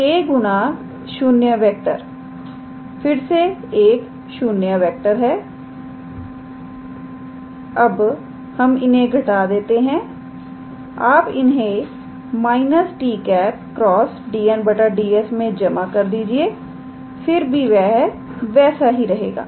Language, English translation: Hindi, So, k times 0 vector is again a 0 vector, now we subtract it, you add it in minus of t cross dn dn, then it will remain the same